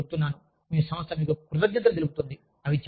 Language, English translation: Telugu, I am telling you, your organization will thank you, for it